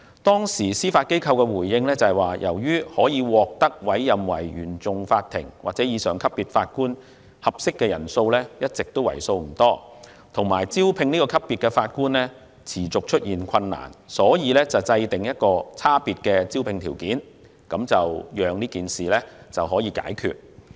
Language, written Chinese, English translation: Cantonese, 當時司法機構的回應是，由於可獲委任為原訟法庭或以上級別法官的合適人選一直為數不多，以及招聘這個級別的法官持續出現困難，所以制訂有差別的招聘條件，讓事情得到解決。, In response the Judiciary has explained that in light of the small pool of suitable candidates for appointment as Judges at the CFI level and above and the persistent difficulties in recruiting CFI Judges there are differences in the employment conditions to deal with the issue